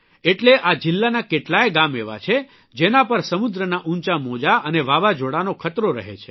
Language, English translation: Gujarati, That's why there are many villages in this district, which are prone to the dangers of high tides and Cyclone